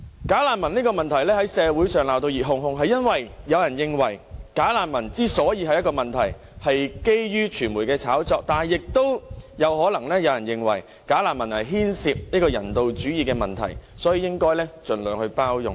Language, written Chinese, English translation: Cantonese, "假難民"的問題在社會上鬧得熱哄哄，是因為有人認為"假難民"之所以成為問題是基於傳媒的炒作，但亦有人認為"假難民"牽涉人道主義的問題，所以應該盡量包容。, The problem of bogus refugees has aroused heated debates in the community . Some people opine that bogus refugees has become a problem after being cooked up by the media whereas some are of the view that bogus refugees concerns the issue of humanitarianism so they should be tolerated as much as possible